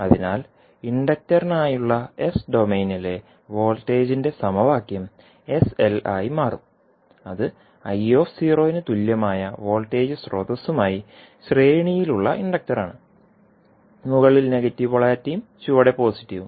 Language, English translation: Malayalam, So, the equation for voltage in s domain for the inductor will become sl that is the inductor in series with voltage source equal to l at l into I at 0 and with negative polarity on top and positive in the bottom